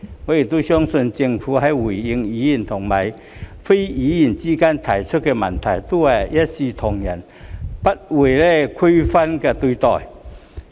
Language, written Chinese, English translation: Cantonese, 我亦相信政府在回應委員與非委員的提問時，均會一視同仁，不會區分對待。, I also believe that the Government will treat everyone alike and it will make no difference between members and non - members when responding to their questions